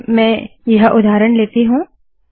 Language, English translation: Hindi, So let me just take this example